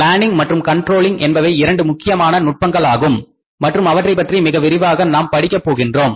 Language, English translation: Tamil, So planning and controlling there are the two important techniques and we will learn about them in detail